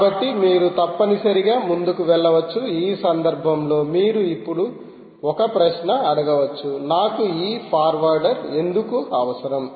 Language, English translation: Telugu, so either you can essentially passes through a forward, in which case you may now ask a question: why do i need ah this forwarder at all